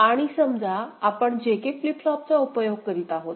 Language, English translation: Marathi, And let us consider, we are using JK flip flop for its realization